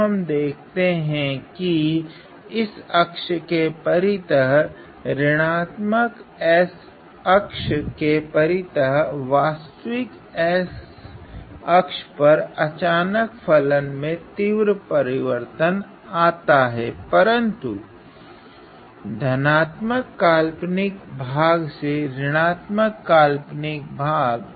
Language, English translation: Hindi, So, we see that around this axis around the negative S axis negative S real S axis there is a sudden jump of the value of the function from being real from being real, but positive imaginary part to real with negative imaginary part